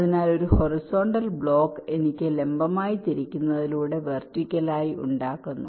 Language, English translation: Malayalam, so a horizontal block, i make it vertically by rotating, that flexibility i have